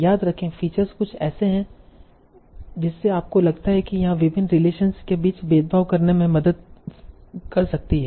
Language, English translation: Hindi, So remember features are something that you think can help me discriminate between various relations here